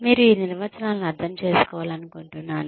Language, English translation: Telugu, I would just like you to understand these definitions